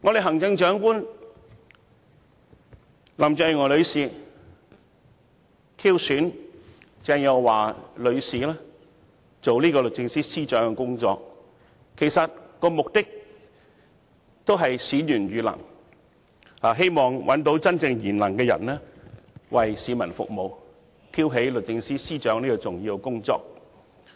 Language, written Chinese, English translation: Cantonese, 行政長官林鄭月娥女士挑選鄭若驊女士擔任律政司司長，目的正是選賢與能，希望找到真正賢能的人為市民服務，挑起律政司司長的重要工作。, In appointing Ms Teresa CHENG as the Secretary for Justice the Chief Executive Mrs Carrie LAM precisely aimed to choose a truly virtuous and able person to serve the public and perform the important duties of the Secretary for Justice